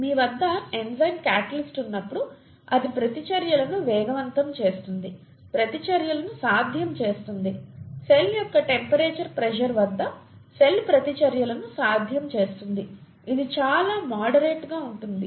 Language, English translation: Telugu, When you have an enzyme a catalyst, it speeds up the reactions, makes reactions possible, make cell reactions possible at the temperature pressure of the cell, which is very moderate, right